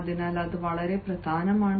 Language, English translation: Malayalam, that is very important